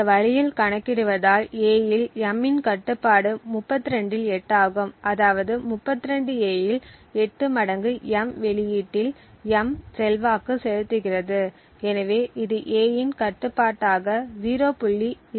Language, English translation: Tamil, So computing in this way we see that the control of A on M is 8 out of 32 which would mean that 8 times out of 32 A has an influence on the output M, so this use a value of 0